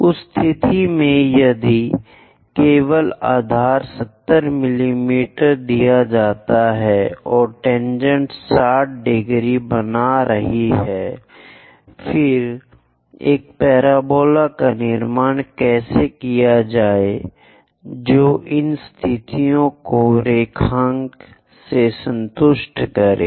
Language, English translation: Hindi, In that case, if only base 70 mm is given and tangents making 60 degrees; then how to construct a parabola which satisfies these conditions graphically